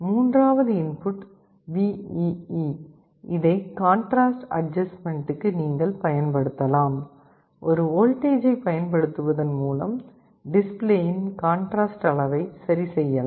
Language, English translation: Tamil, The third input VEE, this you can use for contrast adjustment, by applying a voltage you can adjust the contrast level of the display